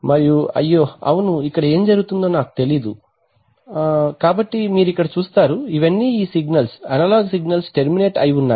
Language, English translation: Telugu, And oops I do not know what is happening yeah, so you see here, these are all these signals analog signals are getting terminated